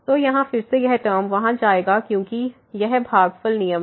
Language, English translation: Hindi, So, here again this term will go there because this quotient rule